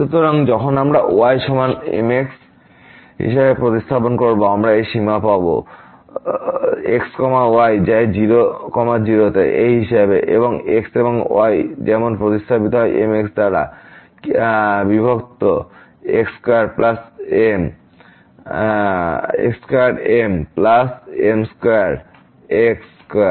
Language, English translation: Bengali, So, when we do this substitution here for is equal to we will get this limit as goes to and and is substituted as divided by square plus square square